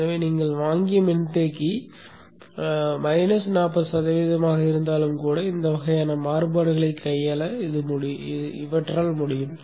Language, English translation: Tamil, So that even the capacitor that you have bought is minus 40% down, it will be able to handle these kind of variations